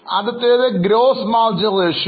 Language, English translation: Malayalam, The first one is gross margin ratio